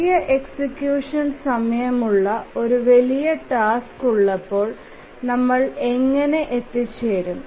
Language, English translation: Malayalam, So, how do we get about when we have a large task with large execution time